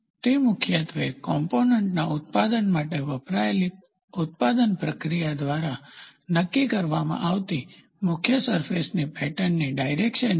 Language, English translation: Gujarati, It is the direction of the predominant surface pattern ordinarily determined by the production process used for manufacturing the component